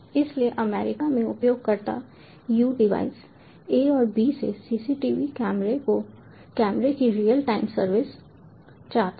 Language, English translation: Hindi, so user u in america wants real time service of cctv camera from the devices a and b